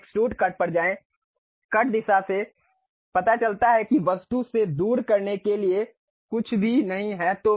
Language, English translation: Hindi, Then go to extrude cut; the cut direction shows that away from the object nothing to remove